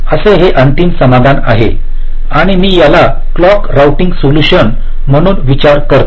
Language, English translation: Marathi, so this is the final solution i want to, i want to arrive at, and this i refer to as the clock routing solution